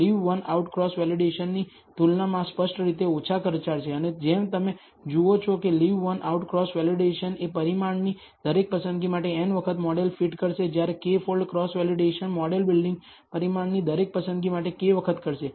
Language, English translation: Gujarati, This is obviously less expensive computationally as compared to Leave One Out Cross Validation and as you see that leave one out cross validation will do a model fitting n times for every choice of the parameter whereas k fold cross validation will do the model building k times for every choice of the parameter